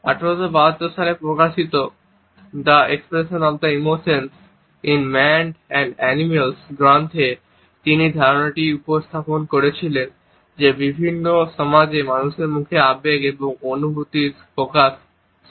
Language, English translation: Bengali, In a treatise, The Expression of the Emotions in Man and Animals which was published in 1872, he had propounded this idea that the expression of emotions and feelings on human face is universal in different societies